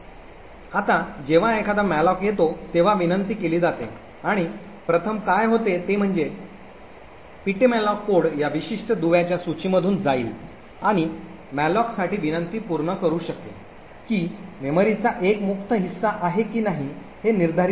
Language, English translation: Marathi, Now whenever there is a malloc that gets requested what happens first is that the ptmalloc code would pass through this particular link list and determining whether there is a free chunk of memory that it can satisfy the request for malloc